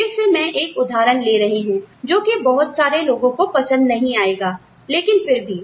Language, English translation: Hindi, Again, I will take some, an example, that may not appeal, to a lot of people